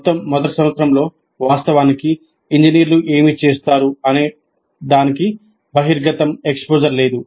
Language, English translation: Telugu, In the entire first year, there is no exposure to what actually engineers do